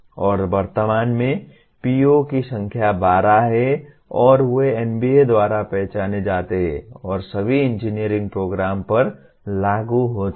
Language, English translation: Hindi, And at present POs are 12 in number and they are identified by NBA and are applicable to all engineering programs